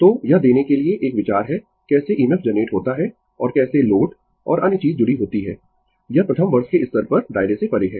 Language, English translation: Hindi, So, this is an idea to give you how EMF is generated and how the your load and other thing is connected that is beyond the scope at the first year level